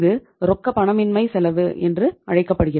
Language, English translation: Tamil, This will be called as the cost of illiquidity